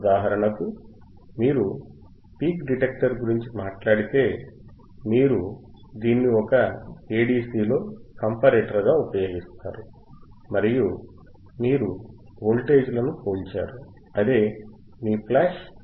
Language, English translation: Telugu, For example, if you talk about peak detector, you will seen in one of the one of the a ADCs, you to use this as comparator and you are comparing the voltages which is ayour flash Aa DC